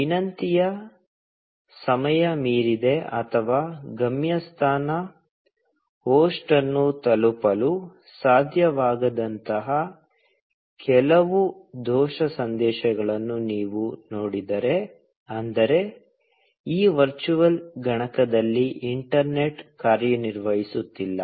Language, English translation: Kannada, If you see some other error messages, like request timed out, or destination host unreachable, that means that, the internet is not working on this virtual machine